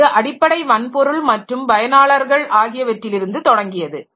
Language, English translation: Tamil, So, started with the basic hardware and the users